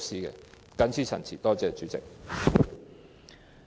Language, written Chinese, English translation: Cantonese, 我謹此陳辭，多謝代理主席。, I so submit . Thank you Deputy Chairman